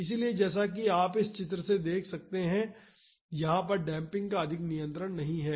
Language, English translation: Hindi, So, as it is seen from this figure damping does not have much control over there